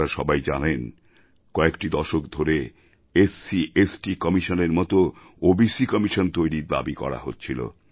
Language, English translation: Bengali, As you know, a demand to constitute an OBC Commission similar to SC/ST commission was long pending for decades